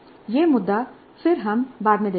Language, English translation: Hindi, So this issue again we'll look into later